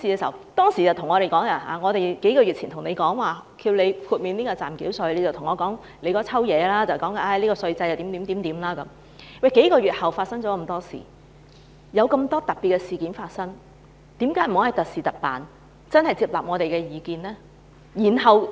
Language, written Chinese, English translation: Cantonese, 在數個月前，當我們要求司長豁免暫繳稅時，他說了一大堆話，指稅制怎樣怎樣，但在數個月後發生了很多特別的事情，為何不可以特事特辦，接納我們的意見？, When we made this request to the Chief Secretary a few months ago he kept talking around issues like how the tax regime worked . Yet a lot of special incidents have happened over the past few months . Why cant the Government listen to us and take special measures at special times?